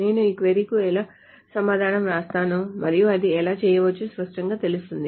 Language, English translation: Telugu, So let me write down the answer to this query and then it will be clearer as to how this can be done